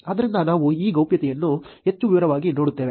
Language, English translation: Kannada, So, we will look at this privacy in more detail